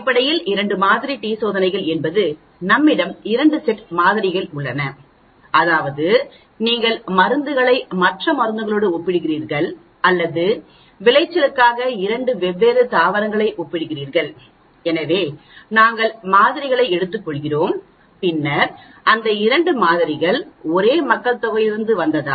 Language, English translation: Tamil, Basically, two sample t tests means we have two sets of samples, that means you are comparing drug a with drug b or you are comparing two different plants for the yields, so we take samples and then we want to find out whether those two samples come from the same population or they are from different population